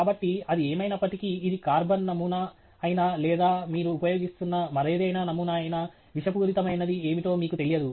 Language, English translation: Telugu, So, whatever it is, whether it is, you know, carbon sample or any other sample that you are using, you donÕt know what is the thing that is going to be toxic